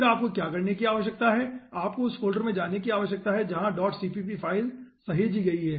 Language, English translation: Hindi, then what you need to do unit 2go to that folder, okay, where this dot cpp file has been saved